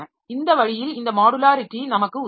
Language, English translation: Tamil, So, this way this modularity helps us